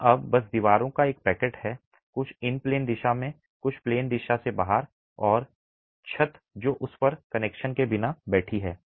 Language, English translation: Hindi, It is now simply a pack of walls, some in the in plane direction, some in the out of plane direction and a roof that is sitting without connections on it